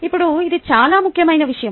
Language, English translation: Telugu, now, this is a very important point